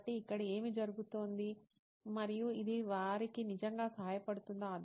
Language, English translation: Telugu, So what is going on here and will this actually help them with that